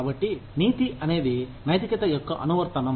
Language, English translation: Telugu, So, ethics is an application of morality